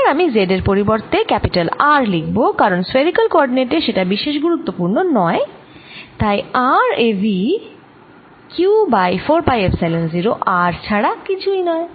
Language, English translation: Bengali, now i can replace z by r, because it doesn't really matter spherically system, and therefore v at r is nothing but q over four pi epsilon zero r